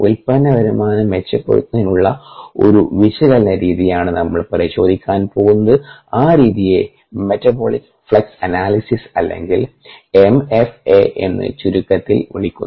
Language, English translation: Malayalam, we are going to look at a method of analysis toward improving product yields, and that method is called metabolic flux analysis, or m f a for short